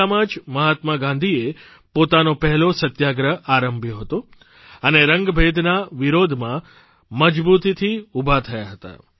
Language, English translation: Gujarati, It was in South Africa, where Mahatma Gandhi had started his first Satyagraha and stood rock steady in protest of apartheid